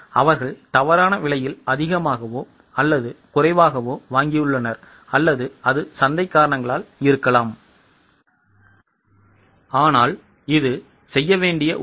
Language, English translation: Tamil, They have purchased at a wrong price, more or less price, or it could be because of market reasons